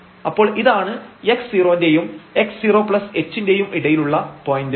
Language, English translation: Malayalam, So, this is the point here between x 0 and x 0 plus h